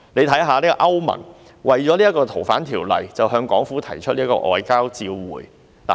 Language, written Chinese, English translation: Cantonese, 大家看一看歐盟，為了《逃犯條例》向港府提出外交照會。, Let us take a look at the European Union EU . EU has issued a demarche to the Hong Kong Government because of the FOO amendment